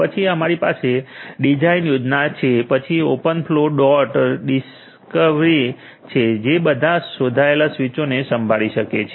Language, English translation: Gujarati, Then we have the design scheme then open flow dot discovery so, that it can listen to all the switches whichever is been discovered